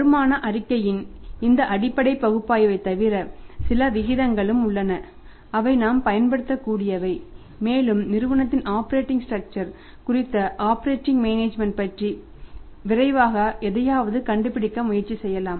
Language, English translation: Tamil, Now apart from your this basic analysis of the income statement there are certain ratios also that which we can use and we can quickly try to find out something about the operating management of the operating structure of the firm